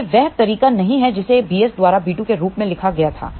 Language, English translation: Hindi, This is not the way it was written as b 2 by b s